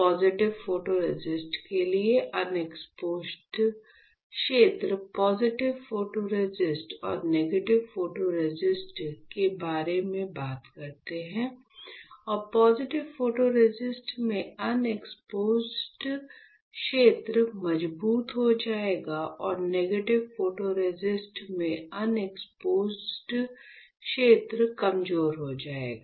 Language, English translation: Hindi, For positive photoresist, the unexposed region says unexposed region by talking about positive photoresist and negative photoresist, that unexposed region in positive photoresist would become stronger and the unexposed region in the positive photoresist sorry, the unexposed region in the negative photoresist will become weaker